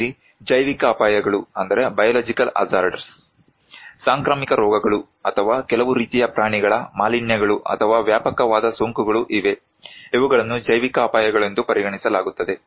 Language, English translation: Kannada, We have also biological hazards like, outbreaks of epidemics or some kind of animal contaminations or extensive infestations, these are considered to be biological hazards